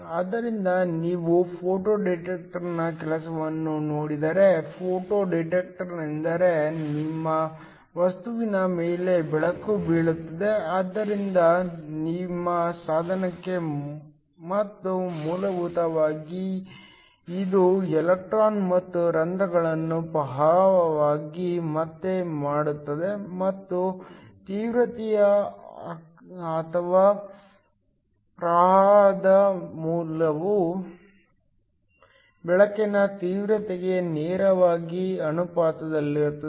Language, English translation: Kannada, So, if you look at the working of a photo detector, a photo detector is one where light falls on to your material, so on to your device and essentially this creates electron and holes which are detected as a current, and the intensity or the value of the current is directly proportional to the intensity of the light